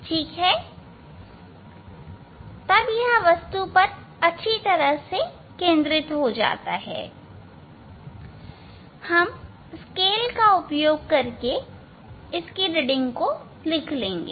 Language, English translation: Hindi, then when it is focus properly on the object ok, we will take we will note down the reading of the scale